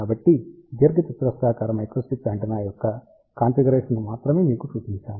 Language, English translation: Telugu, So, I have shown you the configuration only of a rectangular microstrip antenna